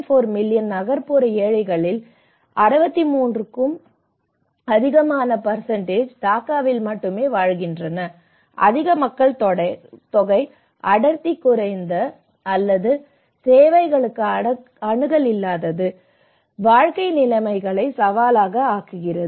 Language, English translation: Tamil, 4 million urban poor living in cities more than 63% live in Dhaka alone, high density of population with limited or no access to services make living conditions challenging